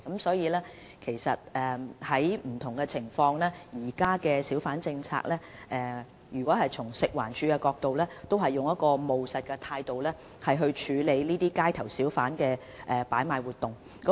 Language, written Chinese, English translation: Cantonese, 事實上，就不同情況而言，食環署在不同情況下會按照現行小販政策，以務實的態度來處理街頭小販擺賣活動。, In fact in different circumstances FEHD will deal with hawking activities on the street in a pragmatic manner in compliance with the existing hawker management policy